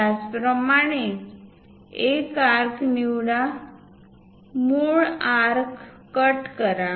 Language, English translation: Marathi, Similarly, pick an arc; cut the original arc